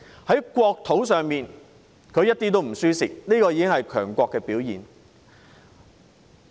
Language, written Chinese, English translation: Cantonese, 在國土方面，國家一點也不讓步，這已是強國的表現。, When it comes to national territory our country does not budge an inch . This is already the reflection of a superpower